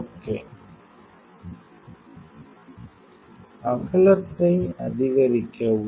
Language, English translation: Tamil, Increase the width